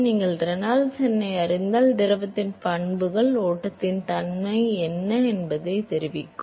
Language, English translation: Tamil, So, if you know Reynolds number then the properties of the fluid will tell you what is the nature of the flow